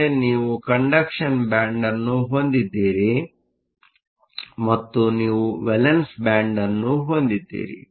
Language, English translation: Kannada, So, you have a conduction band and you have a valence band